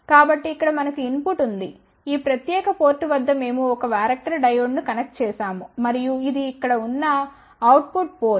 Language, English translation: Telugu, So, here we have a input at this particular port we are connected a character diode and this is that output port over here